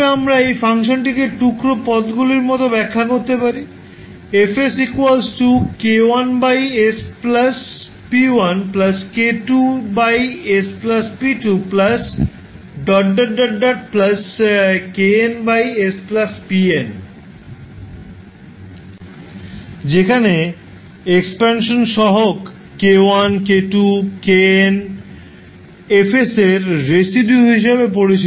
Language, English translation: Bengali, We can represent this particular function as decomposed term like k1 upon s plus p1 plus k2 upon s plus p2 and so on, where expansion coefficients k1, k2 to kn are called the residues of Laplace Transform